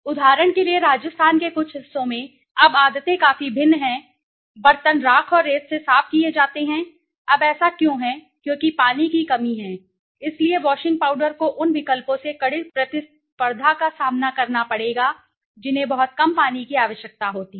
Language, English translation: Hindi, The habits are quite different now in some parts of Rajasthan for example, utensils are cleaned with ash and sand, now why is it because there is a water scarcity right, so washing powder would face stiff competition from the alternatives that need very little water